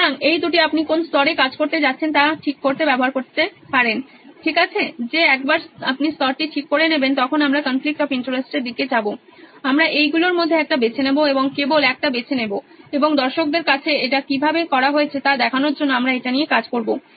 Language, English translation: Bengali, So these two you can use to fix at what level you are going to work, okay so that’s the once you fix the level then we will go onto the conflict of interest analysis, we will pick one in any of these and just pick one and we will work with that on the conflict of interest to show how it’s done to the audience